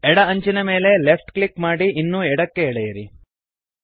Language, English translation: Kannada, Left click the left edge and drag it to the left